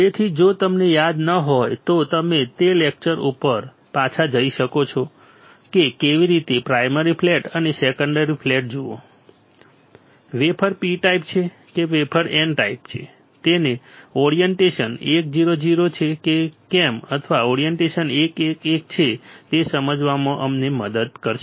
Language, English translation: Gujarati, So, if you do not recall you can go back to that lecture look at how the primary flat and secondary flat, helps us to understand whether the wafer is P type or the wafer is N type and whether the orientation is 1 0 0 or the orientation is 1 1 1 all right